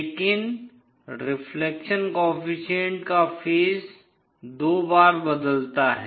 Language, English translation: Hindi, But the phase of this reflection coefficient changes twice